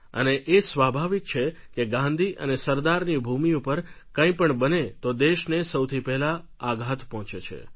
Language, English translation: Gujarati, It is natural that if something of this sort happens in the land of Mahatma and Sardar Patel, then the Nation is definitely shocked and hurt